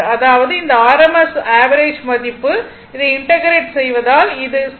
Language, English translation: Tamil, So; that means, this rms value average value will be if you if you integrate this it will become 0